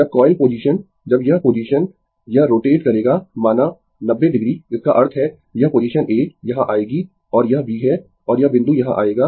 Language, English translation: Hindi, When the coil position when this position, it will rotate say 90 degree; that means, this position A will come here and this is your B and this point will come here